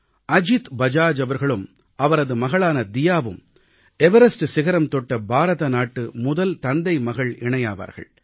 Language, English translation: Tamil, Ajit Bajaj and his daughter became the first ever fatherdaughter duo to ascend Everest